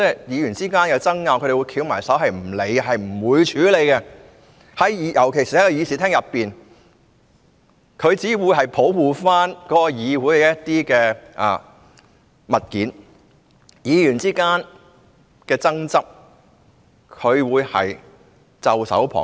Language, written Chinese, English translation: Cantonese, 議員之間有爭拗，他們不理會，不處理，尤其是在議事廳內，他們只會保護議事廳內的設施，對議員之間的爭執，他們只會袖手旁觀。, They would not pay attention to or deal with arguments between parliamentarians particularly in the chamber . The security officers would only protect the facilities in the chamber